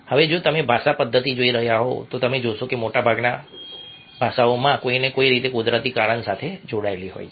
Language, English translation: Gujarati, now, if you are looking at a mechanism of language, you find that most languages begin in some way being linked with the natural cause